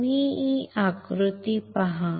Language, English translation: Marathi, You see this figure